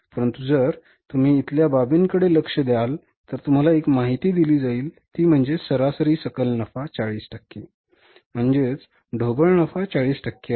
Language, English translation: Marathi, But if you look at the case here, you are given one information here is that is the average gross profit is 40 percent